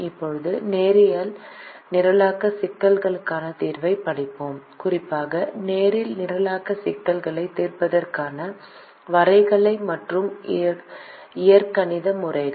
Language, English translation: Tamil, now we will study solution to linear programming problem, specifically the graphical and algebraic methods of solving linear programming problems